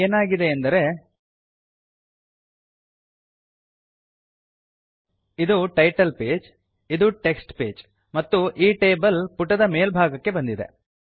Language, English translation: Kannada, So now what has happened is this is the title page, this is the text page, the table has been floated, it has gone to the top of this page